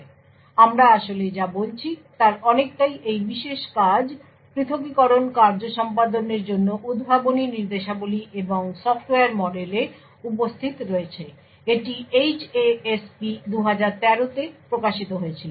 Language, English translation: Bengali, So, a lot of what we are actually talking is present in this particular paper Innovative Instructions and Software Model for Isolated Execution, this was published in HASP 2013